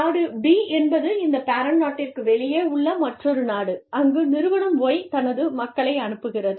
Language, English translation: Tamil, Now, Country B is another country, outside of this parent country, where Firm Y, sends its people to